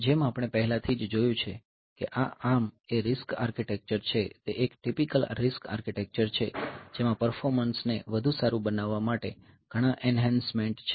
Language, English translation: Gujarati, So, as we have already seen that these ARM is a RISC architecture it is a typical RISC architecture with several enhancements to improve the performance further